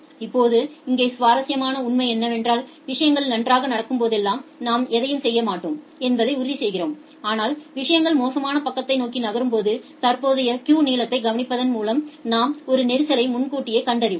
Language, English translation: Tamil, Now, here the interesting fact is that what we are doing here, we are ensuring that whenever things are going good we do not do anything, but when things are moving towards the bad side we you do some kind of early detection of a congestion by observing the current queue length, because the current queue length gives you a reliable indication of the congestion